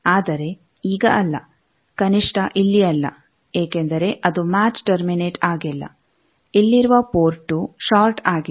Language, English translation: Kannada, But not now at least not here because it is not match terminated the port 2 here is shorted